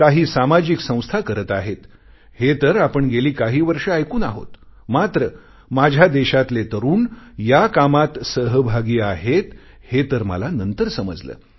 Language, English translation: Marathi, Some social institutions have been involved in this activity for many years was common knowledge, but the youth of my country are engaged in this task, I only came to know later